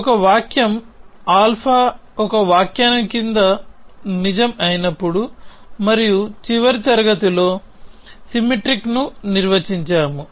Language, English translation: Telugu, So, whenever a sentences alpha is true under an interpretation and we defined the symmetric in the last class